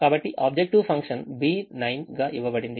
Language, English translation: Telugu, so the objective function is given as the b nine